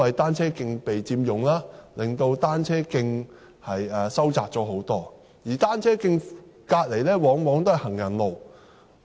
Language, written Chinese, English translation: Cantonese, 單車徑被佔用，導致單車徑範圍收窄，而單車徑旁邊往往是行人路。, The illegal occupation of cycle tracks has narrowed the track space and as many cycle tracks are built adjacent to the pavements accidents may occur easily